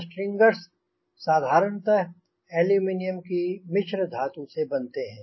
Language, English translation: Hindi, longerons, like strangers, are usually made of aluminum alloy